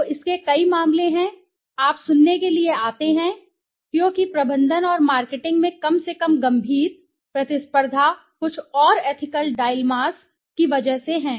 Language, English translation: Hindi, So there are several cases of this, you come to listen because in my management and marketing at least because of the serious, severe competition, right, some more ethical dilemmas